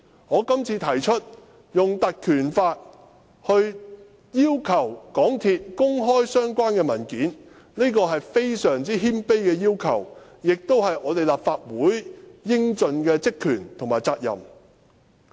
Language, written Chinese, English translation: Cantonese, 我今次提出用《條例》要求港鐵公司公開相關文件，是非常謙卑的要求，亦是立法會應盡的職權和責任。, I am only making a very humble request with the power of the Ordinance to ask MTRCL to make public the related documents . This is a power and responsibility the Legislative Council should discharge